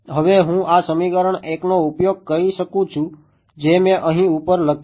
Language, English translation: Gujarati, I can now use this equation 1 that I have written over here right